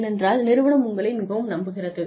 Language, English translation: Tamil, Because, the organization is trusting me, so much